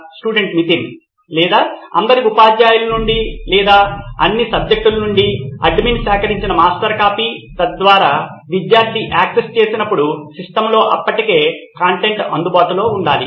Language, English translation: Telugu, Or the master copy that has been collected by the admin from all the teachers or all subjects, so that content should already be available on the system when the student accesses it